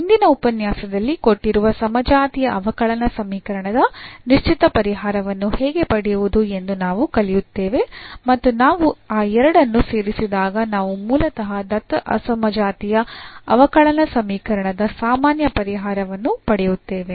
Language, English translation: Kannada, So, in the next lecture what we will learn now how to find a particular solution of the given non homogeneous differential equation and when we add that two we will get basically the general solution of the given non homogeneous differential equation